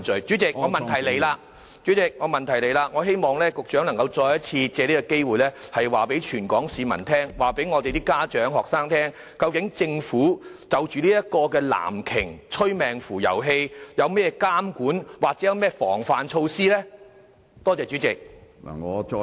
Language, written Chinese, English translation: Cantonese, 主席，我的補充質詢是，我希望局長能夠再一次借這個機會告訴全港市民，告訴家長和學生，究竟政府就這個"藍鯨"催命符遊戲，有甚麼監管或防範措施呢？, President my supplementary question is I hope that the Secretary can once again take this opportunity to tell members of the public including our parents and students what measures are in place to monitor or guard against this life - taking Blue Whale game?